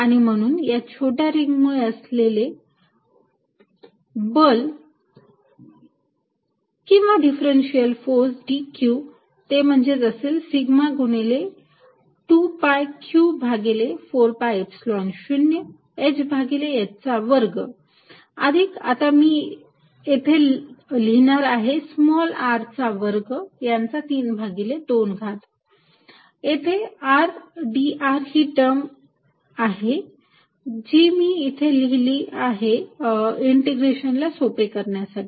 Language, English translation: Marathi, And therefore, the force due to this small ring or let us write differential force is going to be d Q which is sigma times 2 pi Q over 4 pi Epsilon 0 h over h square plus now I am going to write small r square raise to 3 by 2 and there is a r dr which is this term which I have written out here to facilitate integration